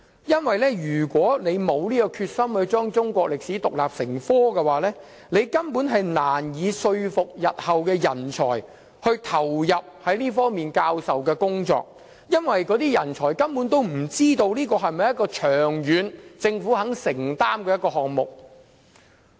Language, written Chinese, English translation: Cantonese, 如果沒有決心將中史獨立成科，根本難以說服日後的人才投入這方面的教學工作，因為他們不知道這是否政府願意長遠承擔的項目。, If we are not determined to do so we can hardly persuade persons of ability to undertake teaching jobs in this regard in the future for they do not know whether the Government is committed to support this initiative in the long run